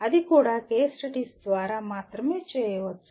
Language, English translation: Telugu, That also can be only done as through case studies